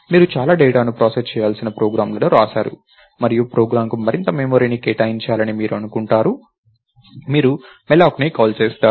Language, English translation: Telugu, You wrote a program which is supposed to process a lot of data and you want more memory allocated to the program, you called malloc